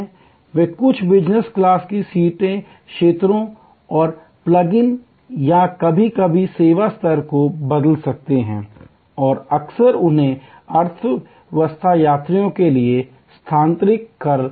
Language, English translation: Hindi, If there is a low level of demand for the business class seats, they can out some of the business class seat areas and plug in or sometimes just change the service level and often them to economy passengers